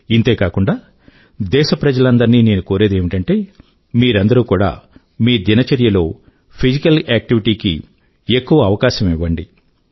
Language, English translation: Telugu, Also concomitantly, I appeal to all countrymen to promote more physical activity in their daily routine